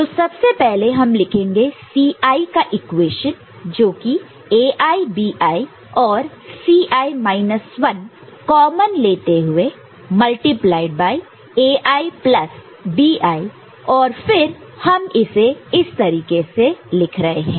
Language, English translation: Hindi, So, first of all we are writing C i as A i B i and the C i minus 1 taking common A i plus B i and then we are writing in it is in this way, ok